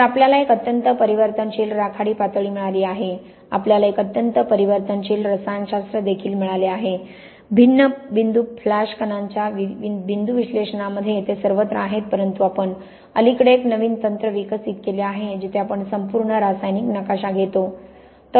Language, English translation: Marathi, So, we got an extremely variable grey level we have also got an extremely variable chemistry, so you see here is some points analysis of different point flash particles they are all over the place but we have developed a new technique recently where we take the full chemical map